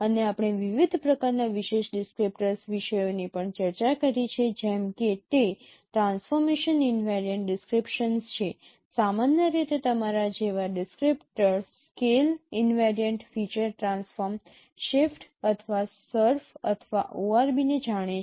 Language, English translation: Gujarati, And we have also discussed different kinds of feature descriptors like their transformation invariant descriptions typically the descriptors like scale invariant feature transform shape or surf or ORB